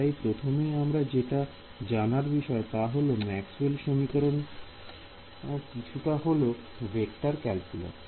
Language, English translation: Bengali, Starting point all you need to know is Maxwell’s equations little bit of vector calculus